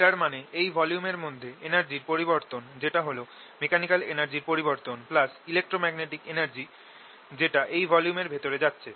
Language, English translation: Bengali, this means that the change of the energy inside this volume, which is equal to the change in the mechanical energy plus the electromagnetic energy, is equal to something going into the volume